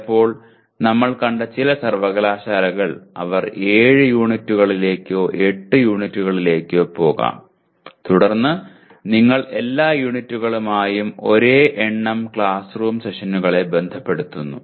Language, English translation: Malayalam, Sometimes some universities we have seen they may even go up to 7 units or 8 units and then you unitize like that they associate the same number of classroom sessions with all units